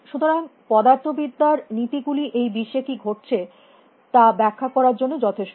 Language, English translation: Bengali, So, the laws of physics are sufficient to explain what is happening in the world out there